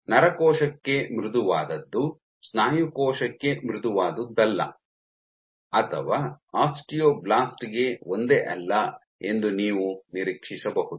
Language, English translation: Kannada, So, you would anticipate that what is soft for a neuron is not the same as soft for a muscle cell or not the same for an osteoblast